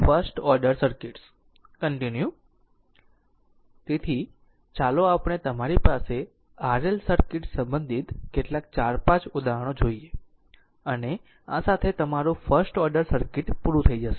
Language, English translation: Gujarati, So let us come to your next regarding RL circuits few examples 4 5 examples and with this your first order circuit will stop